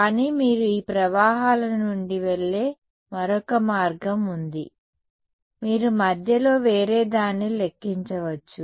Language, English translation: Telugu, But there is another route where you go from these currents you would calculate something else in between